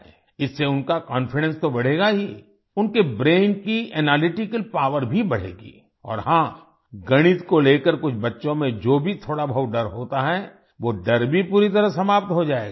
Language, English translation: Hindi, With this, their confidence will not only increase; the analytical power of their brain will also increase and yes, whatever little fear some children have about Mathematics, that phobia will also end completely